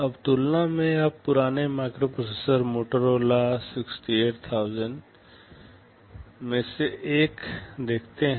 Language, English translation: Hindi, Now, in comparison you see one of the older microprocessors Motorola 68000